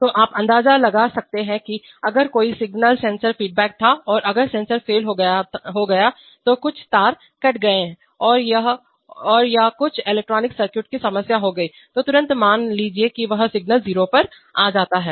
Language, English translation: Hindi, So you can imagine that if there was a single sensor feedback and if the sensor failed, some wire torn or something got burnt out some electronic circuit problem immediately suppose that this signal goes to 0